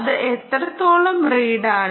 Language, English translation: Malayalam, how much is that reading